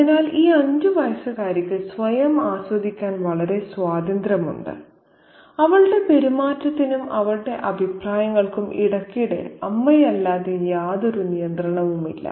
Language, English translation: Malayalam, So, this five year old girl is very free to enjoy herself and there is no restrictions placed on her behavior and her comments except occasionally by the mother